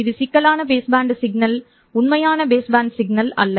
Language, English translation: Tamil, This is the complex base band signal, not the real baseman signal